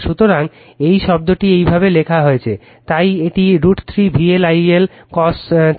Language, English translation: Bengali, So, this term is written like this, so it is root 3 V L I L cos theta right